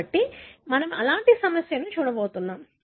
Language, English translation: Telugu, 1: So we are going to look at one such problem